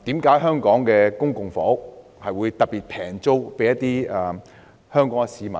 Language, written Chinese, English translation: Cantonese, 為何香港的公共房屋會以特別低廉的租金租給香港市民呢？, Why would public housing be offered to Hong Kong citizens at particularly low rentals?